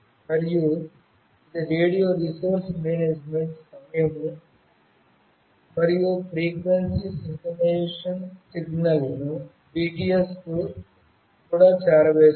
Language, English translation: Telugu, And it also performs radio resource management, time and frequency synchronization signals to BTS